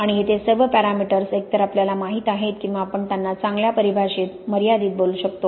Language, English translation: Marathi, And all of these parameters here, either we know or we can let them vary within well defined limit